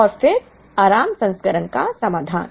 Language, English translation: Hindi, And then, the solution to the relaxed version